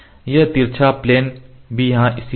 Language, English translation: Hindi, So, this slant plane is also located here